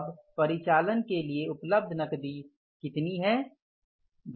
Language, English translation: Hindi, Now the cash available for the operations is how much